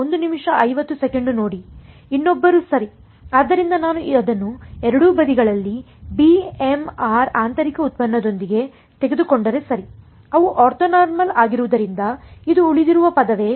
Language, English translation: Kannada, Some other one right; so, if I take it with b m r inner product on both sides right, since they are orthonormal which is the term that survives